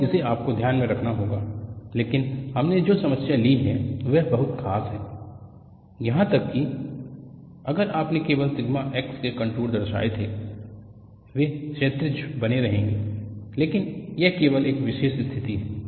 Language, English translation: Hindi, So, this is what you will have to keep in mind, but the problem that we have taken is a very special one; even if you had plotted just contours of sigma x, they would have remained horizontal, but that is only a special case